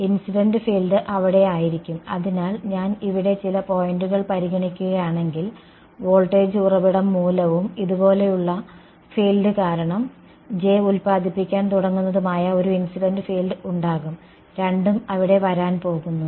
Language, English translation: Malayalam, The incident field is going to be there; so, if I consider some point over here there will be a the incident field due to the voltage source and due to the field like this J is beginning to produce; both are going to be there